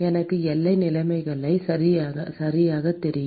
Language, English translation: Tamil, I know the boundary conditions right